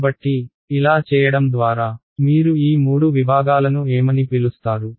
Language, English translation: Telugu, So, by doing this, what are what will you call these three segments